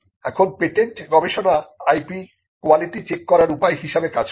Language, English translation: Bengali, Now, the patent research actually acts as a measure to check the quality of the IP